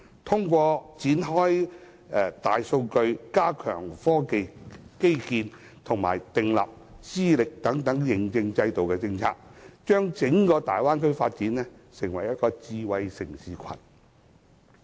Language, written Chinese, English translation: Cantonese, 透過開展大數據、加強科技基建及訂立資歷認證制度等政策，把整個大灣區發展成為智慧城市群。, The entire Bay Area should be developed into a smart city cluster through the launching of big data projects the enhancement of the technological infrastructure the establishment of a mutual qualifications recognition system and so on